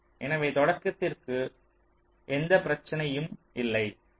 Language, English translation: Tamil, so for the onset there is no problem